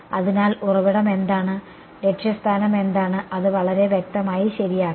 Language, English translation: Malayalam, So, what is the source and what is the destination that is to make it very explicit right